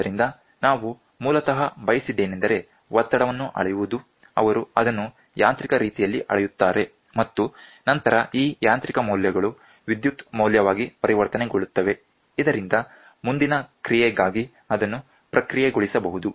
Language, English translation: Kannada, So, basically what we wanted is the pressure is to be measured, they measure it in a mechanical means and then these mechanical values are converted into electrical value so that it can be processed for further action